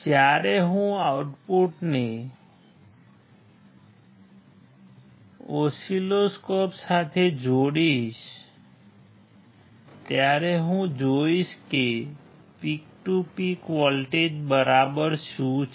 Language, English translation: Gujarati, When I connect the output to the oscilloscope I will see what exactly the peak to peak voltage is